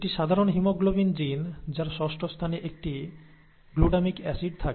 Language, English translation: Bengali, In a normal haemoglobin gene, there is a glutamic acid in the sixth position